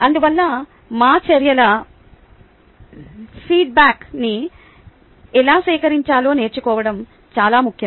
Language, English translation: Telugu, therefore, it is very important to learn how to collect feedback on our actions